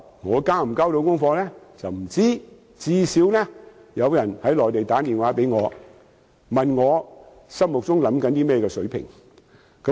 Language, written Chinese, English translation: Cantonese, 我能否交到功課是未知之數，但最低限度有內地人士致電問我心目中的月票優惠水平。, Whether I can achieve some result is still unknown but at least someone from the Mainland had rung me up to ask about the fare concession rate I had in mind